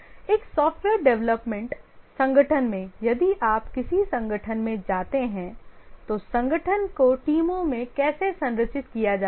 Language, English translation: Hindi, In a software development organization, if you visit an organization, how is the organization structured into teams